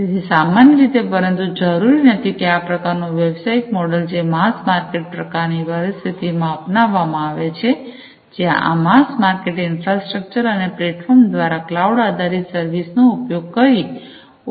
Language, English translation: Gujarati, So, typically this kind of typically, but not necessarily; this kind of business model is an adopted in mass market kind of situations, where you know there is a mass market, and on demand these infrastructures and the platforms could be made available, typically through some kind of cloud based service